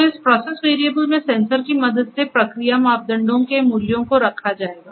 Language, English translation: Hindi, So, this process variables or the values of this process parameters would be measured with the help of sensors